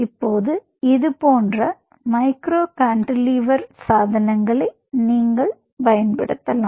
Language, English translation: Tamil, now, on such micro cantilever devices, you can use such